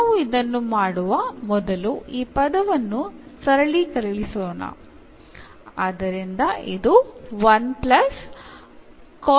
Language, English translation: Kannada, So, let us just simplify this term